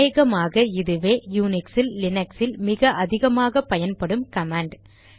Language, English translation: Tamil, For this we have the ls command which is probably the most widely used command in Unix and Linux